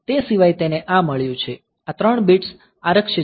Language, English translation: Gujarati, So, apart from that it has got this; so, this 3 bits are reserved